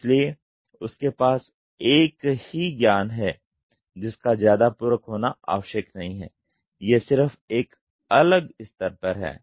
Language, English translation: Hindi, So, his knowledge he has a same knowledge; he has a same knowledge not much of supplementary it is just a different level there